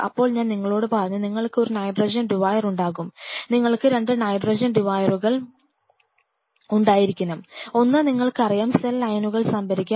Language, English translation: Malayalam, Then I told you that you will be having a nitrogen deware, we should have 2 nitrogen dewars one 2 you know store the cell lines